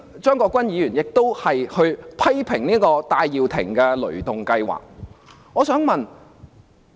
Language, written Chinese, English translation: Cantonese, 張國鈞議員剛才亦批評戴耀廷的"雷動計劃"。, Mr CHEUNG Kwok - kwan also criticized Mr Benny TAIs ThunderGo campaign just now